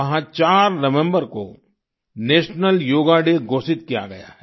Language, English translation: Hindi, There, the 4th of November has been declared as National Yoga Day